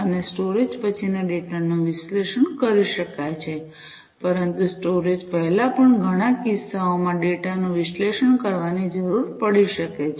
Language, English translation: Gujarati, And one can analyze, the data after storage, but before storage also the in many cases the data may need to be analyzed